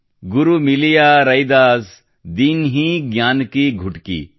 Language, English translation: Kannada, Guru Miliya Raidas, Dinhi Gyan ki Gutki